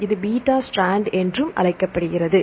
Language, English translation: Tamil, So, this is called beta strand, right